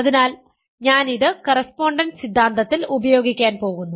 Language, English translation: Malayalam, So, I am going to use this in correspondence theorem